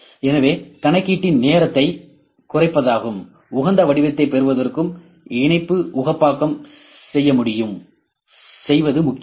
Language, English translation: Tamil, So, optimization of mesh to reduce the time of computation and to get the optimum shape as well, it is also important